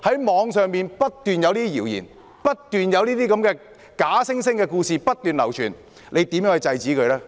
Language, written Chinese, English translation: Cantonese, 網上不斷有謠言和假故事流傳，司長會如何制止呢？, With regard to the rumours and fake stories circulating continuously on the Internet how will the Chief Secretary stop all this?